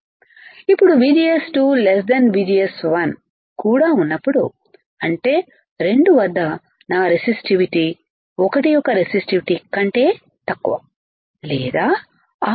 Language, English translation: Telugu, Now, when VGS is less than VGS two; that means, my resistivity at 2 is less than resistivity of 1 or R 2 is greater than R1 right